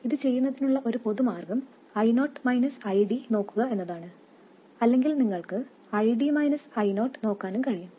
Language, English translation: Malayalam, And one of the common ways of doing this is to look at I 0 minus ID or you can also look at ID minus I0